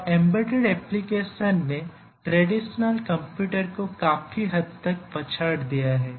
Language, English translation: Hindi, Now the embedded applications vastly outnumber the traditional computers